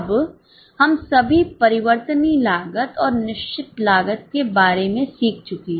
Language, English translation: Hindi, Now, we have all learned variable costs and fixed costs